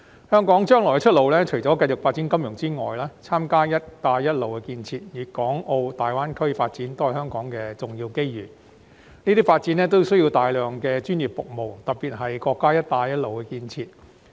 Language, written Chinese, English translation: Cantonese, 香港將來的出路除繼續發展金融之外，參加"一帶一路"建設及粵港澳大灣區發展都是香港的重要機遇，這些發展需要大量專業服務，特別是國家的"一帶一路"建設。, With regard to the future way out for Hong Kong apart from keeping on engaging in financial development taking part in the Belt and Road Initiative as well as the development of the Guangdong - Hong Kong - Macao Greater Bay Area are important opportunities for Hong Kong because all of these need a lot of professional services especially the Belt and Road Initiative